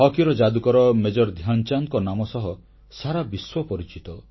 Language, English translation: Odia, Hockey maestro Major Dhyan Chand is a renowned name all over the world